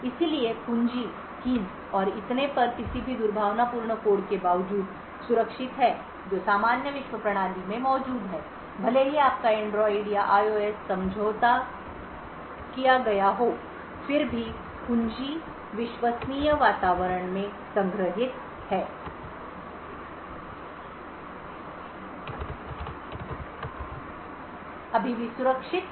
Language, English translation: Hindi, So, the keys and so on are secure in spite of any malicious code that is present in the normal world system so even if your Android or IOS is compromised still the key is stored in the trusted environment is still safe and secure